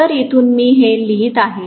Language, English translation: Marathi, So from here, I am writing this